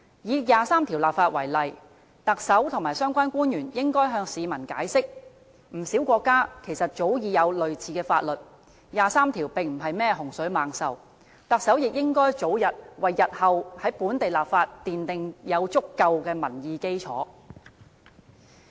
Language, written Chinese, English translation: Cantonese, 以第二十三條立法為例，特首和相關官員應該向市民解釋，不少國家早已有類似的法律，第二十三條並不是甚麼洪水猛獸，特首也應該早日為日後在本地立法奠定足夠的民意基礎。, Take the legislation of Article 23 as an example . The Chief Executive and the related public officers should explain to the public that many countries already have similar laws in place long ago and Article 23 is not a scary monster . The Chief Executive should take early actions to build up sufficient public support for the local legislation in future